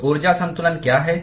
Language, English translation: Hindi, So what is the energy balance